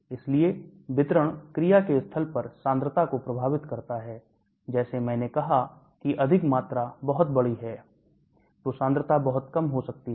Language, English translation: Hindi, So the distribution affects the concentration at the site of action, like I said if the volume is very large concentration may be much low